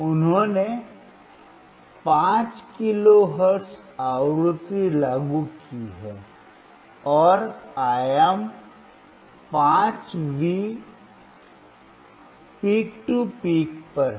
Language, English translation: Hindi, He has applied 5 kilohertz frequency, and the amplitude is 5 V peak to peak